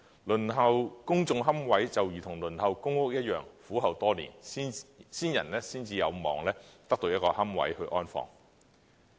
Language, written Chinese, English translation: Cantonese, 輪候公營龕位就如同輪候公共房屋一樣，苦候多年，先人才有望得到一個龕位安放。, As in the case of waiting for public housing applicants for public niches need to wait bitterly for years before being able to secure a niche to inter the ashes of the deceased